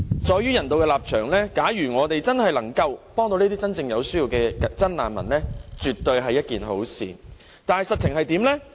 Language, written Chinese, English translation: Cantonese, 基於人道立場，假如我們能夠幫助真正有需要的真難民，絕對是一件好事，但實情如何呢？, From a humanitarian perspective it is absolutely a good thing if we can render assistance to those genuine refugees truly in need of help . Yet what is the truth?